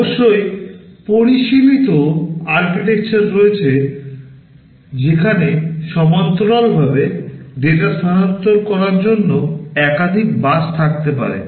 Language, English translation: Bengali, Of course, there are sophisticated architectures where there can be multiple buses for parallel transfer of data and so on